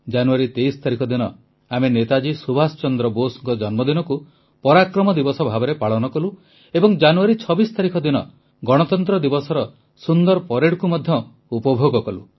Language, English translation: Odia, We celebrated the 23rd of January, the birth anniversary of Netaji Subhash Chandra Bose as PARAKRAM DIWAS and also watched the grand Republic Day Parade on the 26th of January